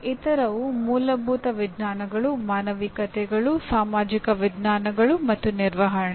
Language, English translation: Kannada, The other ones are basic sciences, humanities, social sciences, and management